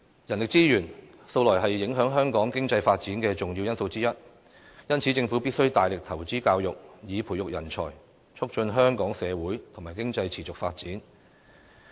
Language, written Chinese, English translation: Cantonese, 人力資源，素來是影響香港經濟發展的重要因素之一，因此，政府必須大力投資教育，以培育人才，促進香港社會和經濟持續發展。, Human resources have all along been an important element affecting the economic development of Hong Kong . Therefore it is obligatory upon the Government to heavily invest in education to nurture talents for the promotion of the sustainable development of the Hong Kong society and economy